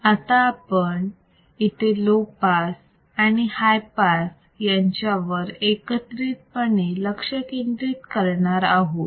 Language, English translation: Marathi, Now, let us focus on low pass and high pass combination